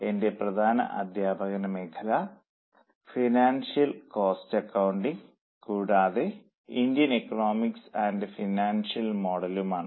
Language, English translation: Malayalam, My major teaching interests include financial cost accounting and also Indian economic and financial model